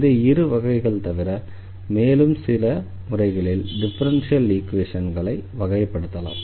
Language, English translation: Tamil, So, here these are the examples of the differential equations